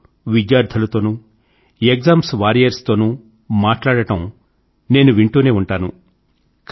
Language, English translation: Telugu, But I regularly listen to your conversations with students and exam warriors